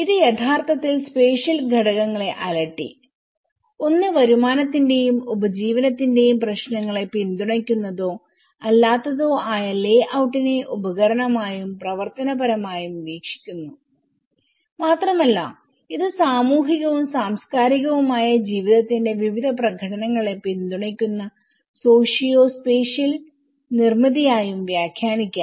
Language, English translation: Malayalam, It actually worked to tease out the spatial elements and one is the layout is viewed both instrumentally and functionally whether support or not the issues of income and livelihood and it can also be interpreted as socio spatial construct which supports different performatives related to social and cultural life